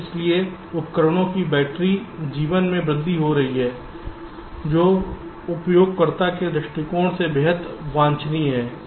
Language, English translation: Hindi, so the battery life of the devices tend to increase, which is extremely desirable from the users prospective